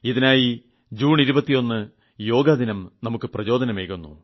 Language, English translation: Malayalam, And for this, the International Yog day on 21st June gives us the inspiration